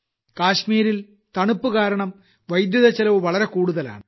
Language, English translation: Malayalam, On account of winters in Kashmir, the cost of electricity is high